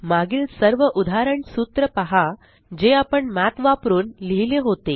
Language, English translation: Marathi, Notice all the previous example formulae which we wrote using Math